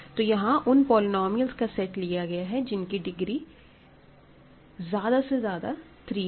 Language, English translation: Hindi, So, here I am taking all polynomials whose degree is at most 3